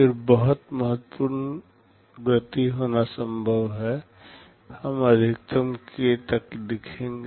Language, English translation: Hindi, Then it is possible to have very significant speed up, we shall see maximum up to k